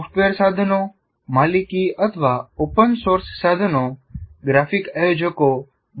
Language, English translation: Gujarati, And software tools, proprietary or open source tools are available for creating some graphic organizers